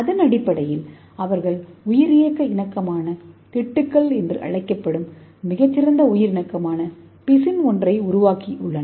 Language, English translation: Tamil, Based on this they made a very good biocompatible adhesive that is called as biocompatible patches